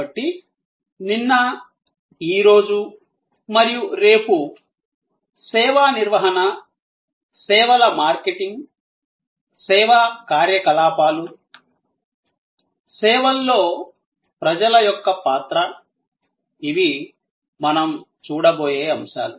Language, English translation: Telugu, So, this yesterday, today and tomorrow of service management, services marketing, service operations, the role of people in services, these will be topics that we will be looking at